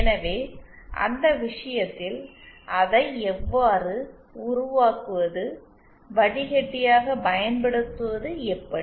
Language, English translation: Tamil, So in that case, how do we make it a, use it as a filter